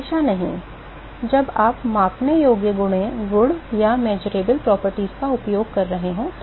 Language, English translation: Hindi, Not always, when you are using the measurable properties